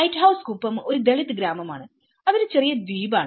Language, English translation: Malayalam, Lighthouse Kuppam is a Dalit village, its a small island